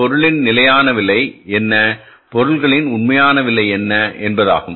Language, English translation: Tamil, What is the standard price of material and what is the actual price of the material